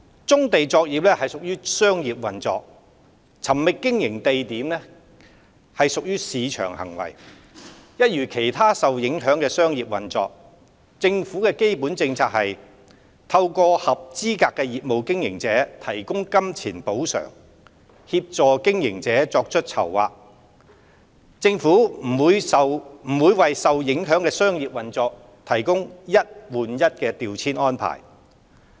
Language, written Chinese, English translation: Cantonese, 棕地作業屬商業運作，尋覓經營地點屬市場行為，一如其他受影響的商業運作，政府的基本政策是透過向合資格的業務經營者提供金錢補償，協助經營者作出籌劃，政府不會為受影響的商業運作提供"一換一"調遷安置。, As brownfield operations are business initiatives their search for operating space is a market behaviour . As in the situations of other affected business operators the Governments fundamental policy is to provide monetary compensation for eligible business operators to assist them in making their own arrangements upon clearances instead of providing one - on - one reprovisioning arrangements for the affected business operations